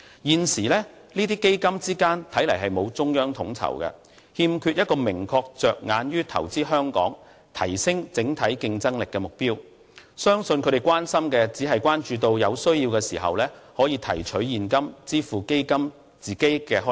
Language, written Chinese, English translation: Cantonese, 現時這些基金之間沒有中央統籌，亦欠缺一個明確着眼於投資香港、提升整體競爭力的目標，相信他們關心的只是在有需要的時候能夠提取現金支付基金的開支。, At present there lacks a central body to coordinate these funds and there is not a specific target on investing in Hong Kong and enhancing our overall competitiveness . I believe the main concern of the Government is only to be able to draw capital from the Exchange Fund to settle the expenditures of these funds when necessary